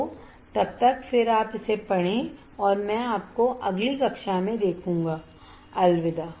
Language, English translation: Hindi, So, then you read this stuff and I will see you in the next class, bye